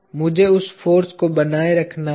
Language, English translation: Hindi, Let me retain that force